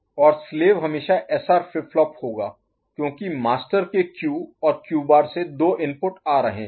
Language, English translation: Hindi, And the slave will always be SR flip flop because there are two inputs coming from Q and Q bar of the master ok